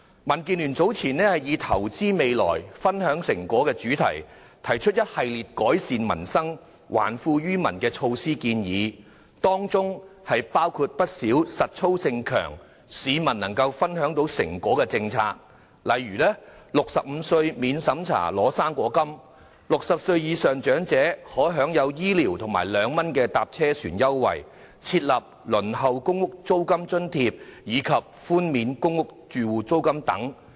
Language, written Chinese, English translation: Cantonese, 民建聯早前以"投資未來，分享成果"為主題，提出一系列改善民生、還富於民的建議措施，當中包括不少容易實行而且能讓市民分享經濟成果的政策，包括65歲免審查領取"生果金"、60歲以上長者享有醫療券及兩元乘車船優惠、提供輪候公屋租金津貼，以及寬免公屋住戶租金等。, Earlier DAB proposed a series of measures entitled Invest in the future and share the fruits of development for improvement of the peoples livelihood and return of wealth to the people . Among others the measures include many policies that can be implemented easily to enable the public to share the fruits of economic development such as granting non - means - tested fruit grant to people aged 65 or above allowing elderly people aged above 60 to enjoy health care vouchers and 2 concessary fare for travelling on public transport providing rental allowances for people waiting for public rental housing PRH allocation waiver of PRH rent and so on